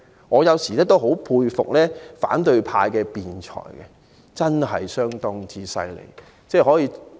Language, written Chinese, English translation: Cantonese, 我有時也很佩服反對派的辯才，相當了不起。, Sometimes I greatly admire the eloquence of Members from the opposition camp which is remarkable